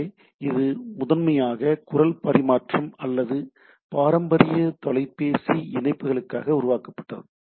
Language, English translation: Tamil, So, this was primarily developed for voice traffic or our traditional phone connections, right